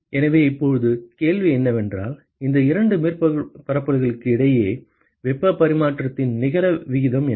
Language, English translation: Tamil, So, now, the question is, what is the net rate of heat exchange between these two surfaces